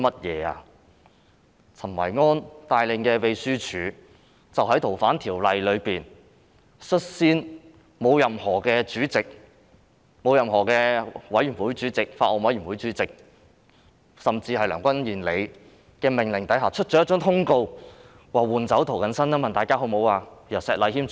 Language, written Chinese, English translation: Cantonese, 由陳維安帶領的秘書處，在處理《逃犯條例》時，率先在沒有任何主席、委員會主席、法案委員會主席，甚至是梁君彥的命令下發出通告，詢問議員是否要換掉涂謹申議員，改由石禮謙議員出任主持。, The Secretariat led by Kenneth CHEN in handling the Fugitive Offenders Ordinance issued a circular on its own initiative without being instructed by any Chairman neither a Chairman of a committee nor the Chairman of a Bills Committee and not even Andrew LEUNG asking Members whether Mr James TO should be replaced by Mr Abraham SHEK to preside over the meeting